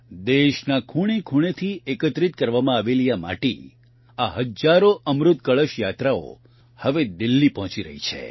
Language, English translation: Gujarati, This soil collected from every corner of the country, these thousands of Amrit Kalash Yatras are now reaching Delhi